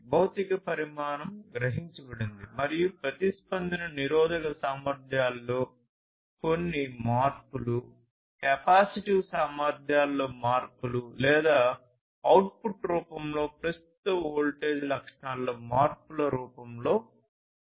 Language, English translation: Telugu, So, then we have that something is sensed and the response is in the form of some changes in the resistive capacities, changes in the capacitive capacities and so on or changes in current voltage characteristics in